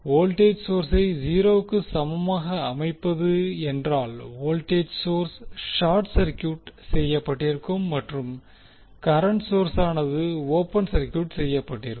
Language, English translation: Tamil, Setting voltage source equal to 0 means the voltage source will be short circuited and current source will be the open circuited